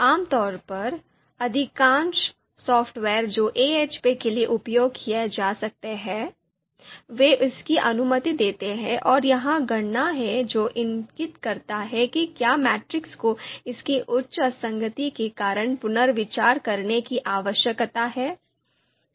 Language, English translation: Hindi, So typically you know most of the software that can be used for AHP, they allow this, they have this calculation and it will actually indicate whether a matrix needs to be reconsidered due to its high inconsistency